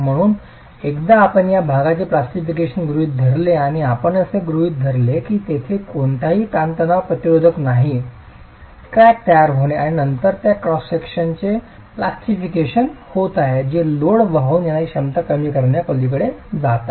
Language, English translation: Marathi, So once you assume plastication of the section and you assume that there is no tensile resistance, crack formation and subsequent plastication of the cross section is occurring, which is what is causing the reduction in the load carrying capacity